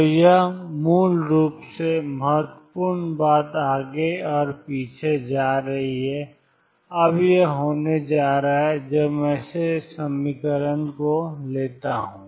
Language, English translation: Hindi, So, this is basically going back and forth important thing, now is going to be that when I take this equitation